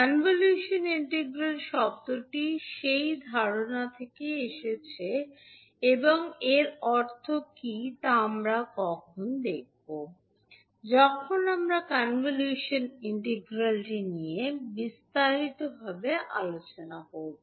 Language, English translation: Bengali, So the term convolution integral has come from that particular concept and what does it mean we will see when we will discuss the convolution integral in detail